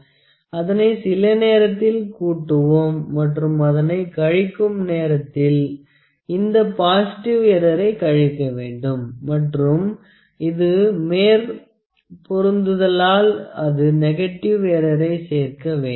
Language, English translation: Tamil, 10 is something that is added to it when you need to subtract that; this positive error has to be subtracted and if it is an overlap, if it is an overlap that will be a negative error that has to be added